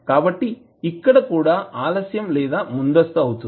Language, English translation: Telugu, So, here also you can advance or delay